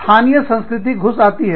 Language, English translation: Hindi, The local culture, does creep in